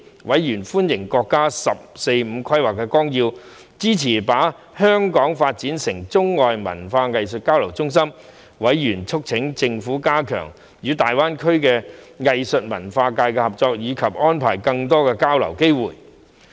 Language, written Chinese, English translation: Cantonese, 委員歡迎國家《十四五規劃綱要》支持把香港發展成中外文化藝術交流中心，並促請政府加強與大灣區的藝術文化界合作，以及安排更多交流的機會。, Members welcomed that the 14th Five - Year Plan was in support of Hong Kongs development into an exchange centre for arts and culture between China and the rest of the world and urged the Government to facilitate better collaboration in the arts and culture sector between Hong Kong and the Greater Bay Area and arrange for more exchange opportunities